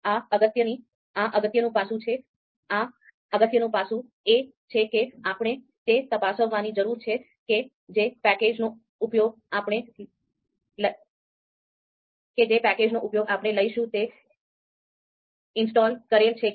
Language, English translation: Gujarati, So one important aspect here is that we need to check whether the packages that we are going to use whether they are installed or not